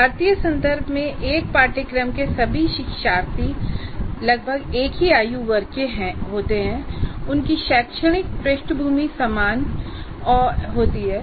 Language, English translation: Hindi, So in our Indian context, this is more or less, that is all learners of a course belong to the same age group and they have similar academic background